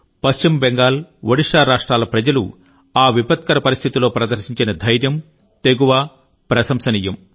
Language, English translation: Telugu, The courage and bravery with which the people of West Bengal and Odisha have faced the ordeal is commendable